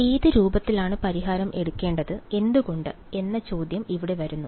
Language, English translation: Malayalam, So, here comes the question of which form of the solution to take and why